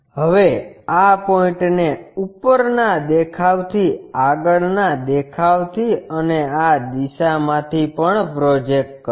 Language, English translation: Gujarati, Now, project these points all the way from top view on the from the front view and also from this direction